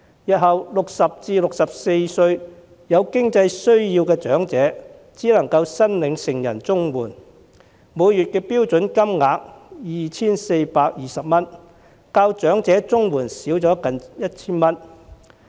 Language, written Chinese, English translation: Cantonese, 那些60至64歲有經濟需要的長者，日後只能夠申領成人綜援，每月標準金額是 2,420 元，較長者綜援的金額少近 1,000 元。, In future elderly persons aged between 60 and 64 in financial needs can only apply for adult CSSA the monthly standard rate of which is 2,420 nearly 1,000 less than that of elderly CSSA